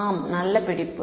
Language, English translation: Tamil, Yes good catch